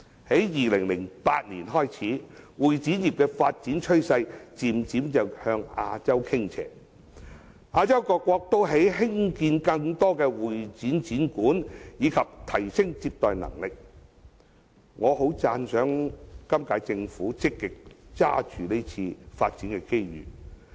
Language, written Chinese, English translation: Cantonese, 從2008年開始，會展業的發展趨勢逐漸向亞洲傾斜，亞洲各國都興建更多的會展展館以提升接待能力，我很讚賞今屆政府積極抓緊這次發展機遇。, From 2008 onwards the development of the CE industry has gradually tilted towards Asian countries and these countries have built more CE venues to enhance their reception capacities . I highly commend the incumbent Governments efforts in seizing this development opportunity